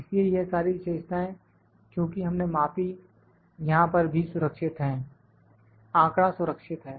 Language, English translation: Hindi, So, all this features that we measured are also stored here the data is stored